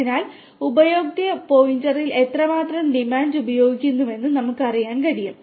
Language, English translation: Malayalam, So, that we know how much demand is consumed at the consumer point